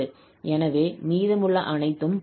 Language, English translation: Tamil, So the rest everything matches